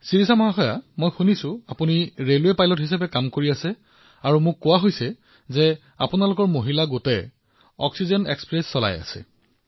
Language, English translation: Assamese, Shirisha ji, I have heard that you are working as a railway pilot and I was told that your entire team of women is running this oxygen express